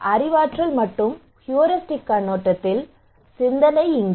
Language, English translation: Tamil, Here is the thought from cognitive and heuristic perspective